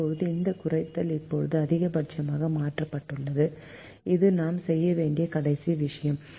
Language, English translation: Tamil, now this minimization is now changed into a maximization, which is the last thing that we need to do